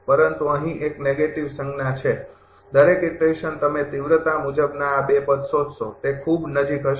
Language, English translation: Gujarati, But there is a negative sign here, every iteration you will find magnitude wise this 2 term will be very close right